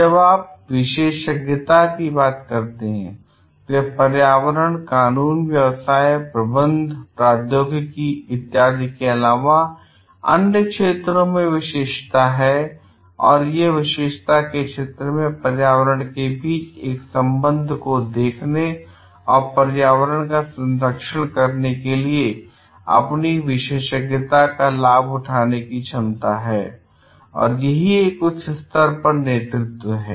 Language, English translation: Hindi, Next when you talk of expertise, it is a expertise in areas other than environment, law, business, management, technology, etcetera and ability to see a relationship between their field of expertise and the environment and leverage their expertise to conserve the environment and like at a higher level is the leadership